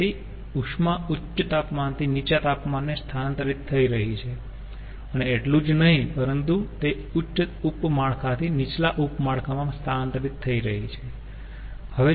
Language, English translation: Gujarati, so heat is getting transferred from high temperature to low temperature, and not only that, it is getting transferred from a higher sub network to a lower sub network